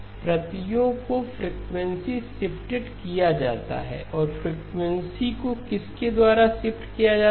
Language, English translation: Hindi, The copies are frequency shifted and frequency shifted by what